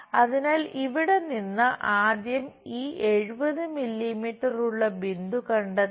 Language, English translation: Malayalam, So, from here first of all locate the point where this 70 mm is present